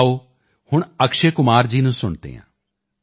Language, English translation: Punjabi, Come, now let's listen to Akshay Kumar ji